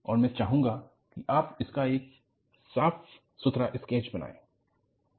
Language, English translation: Hindi, And, I would like you to make a neat sketch of this